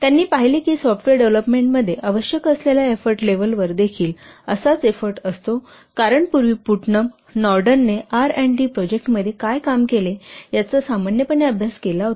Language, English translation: Marathi, He observed, he has observed that the level of effort required in software development has also a similar effort because previously Putnam, this Naden has studied normally what some of the R&D projects